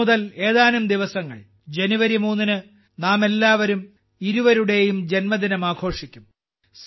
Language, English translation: Malayalam, Just a few days from now, on January 3, we will all celebrate the birth anniversaries of the two